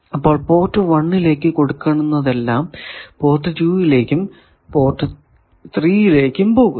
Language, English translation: Malayalam, Power is going to port 1 power is going to port 4 nothing is also coming to 3